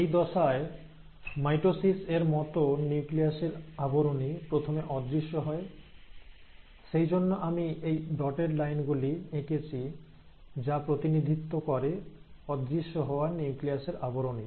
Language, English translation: Bengali, Now in this phase, just like in mitosis, the nuclear envelope first disappears, that is why I have drawn this dashed line representing disappearance of the nuclear envelope